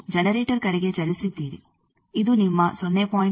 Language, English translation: Kannada, You have move towards generator let us say this is your 0